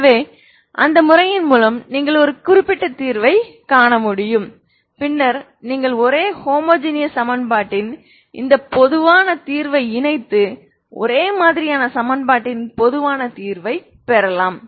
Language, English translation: Tamil, So with that method you can find a particular solution and then you combine with this general solution of the homogeneous equation to get the general solution of non homogeneous equation is what we have seen